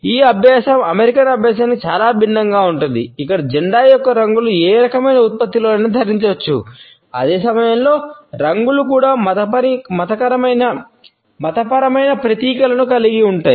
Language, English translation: Telugu, This practice is very different from the American practice where the colors of the flag can be worn on any type of a product at the same time colors also have religious symbolism